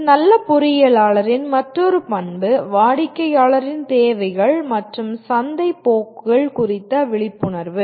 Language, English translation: Tamil, Then another characteristic of a good engineer, awareness of customer’s needs and market trends